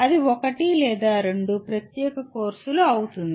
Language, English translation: Telugu, That itself become a separate course or two